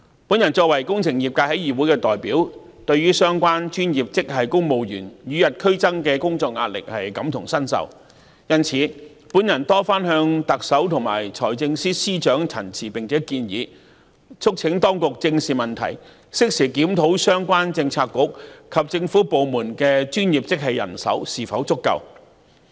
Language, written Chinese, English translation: Cantonese, 我作為工程界的議會代表，對於相關專業職系公務員與日俱增的工作壓力感同身受，因此，我多番向特首及財政司司長陳情和建議，促請當局正視問題，適時檢討相關政策局和政府部門的專業職系人手是否足夠。, As the representative of the engineering sector in this Council I can identify with the feelings of the related professional grade civil servants about their mounting work pressure . I thus have repeatedly expressed this concern and made suggestions to the Chief Executive and the Financial Secretary and urged the Administration to face this problem squarely as well as timely reviewing whether there is adequate professional grade manpower in the Policy Bureaux and government departments concerned